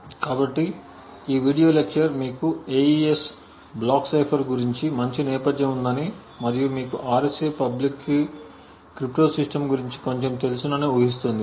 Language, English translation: Telugu, So this video lecture assumes that you have decent background about the AES block cipher and you also know a little bit about the RSA public key cryptosystem